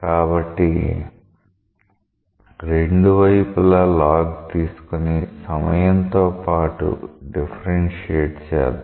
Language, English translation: Telugu, So, let us take the log of both sides and then differentiate with respect to time